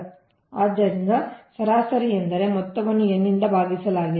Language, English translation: Kannada, so average means sum all divided by n